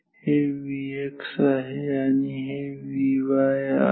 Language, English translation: Marathi, This is V x this is V y